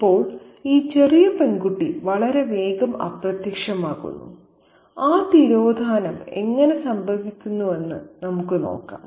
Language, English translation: Malayalam, Now, this little girl disappears quite soon and let's see how exactly that disappearance happens